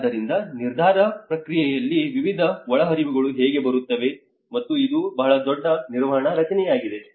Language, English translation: Kannada, So this is how there is a variety of inputs come into the decision process, and this is very huge management structure